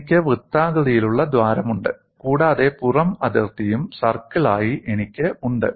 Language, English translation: Malayalam, I have the circular hole and I also have the outer boundary a circle